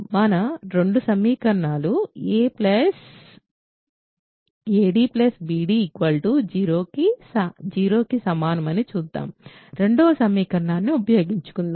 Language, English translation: Telugu, Let us look at our two equations ad plus bc equal to 0 let us use the second equation